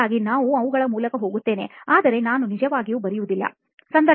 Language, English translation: Kannada, So I just go through them, but I do not really write